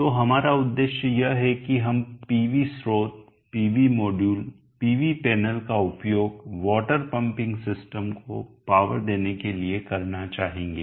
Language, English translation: Hindi, So the objective here is that we would like to use the PV source, the PV modules, the PV panels to power the water pumping system